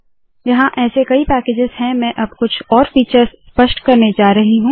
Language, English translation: Hindi, There are lots of these packages, I am going to illustrate some of the other features now